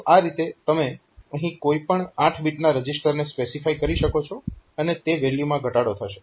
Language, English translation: Gujarati, So, like that you can specify any 8 bit register here, so that value will be decremented